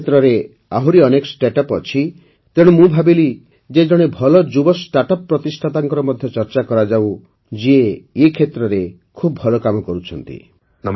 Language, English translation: Odia, There are many other startups in this sector, so I thought of discussing it with a young startup founder who is doing excellent work in this field